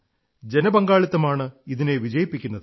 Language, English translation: Malayalam, It is public participation that makes it successful